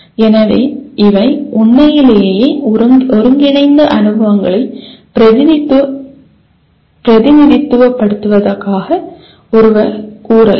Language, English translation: Tamil, So one can say these represent a truly integrated experiences